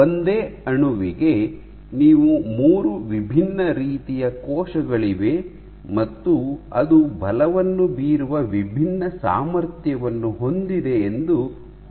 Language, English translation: Kannada, So, for the same molecule imagine you have 3 different types of cells, which have different capability to exert forces